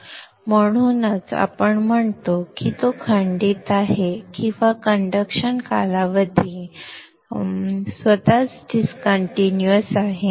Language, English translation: Marathi, So that is why we say it is discontinuous or the conduction period itself is discontinuous